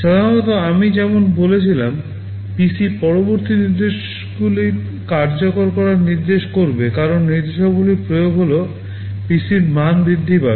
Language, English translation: Bengali, Normally as I said PC will be pointing to the next instruction to be executed, as the instructions are executing the value of the PC gets incremented